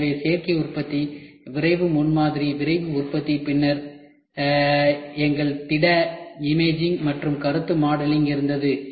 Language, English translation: Tamil, So, additive manufacturing, rapid prototyping, Rapid Manufacturing and then we had our solid imaging and concept modelling